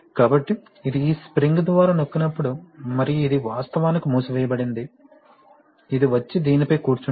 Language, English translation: Telugu, So, therefore this is being pressed by this spring and this is actually closed, this comes and sits on this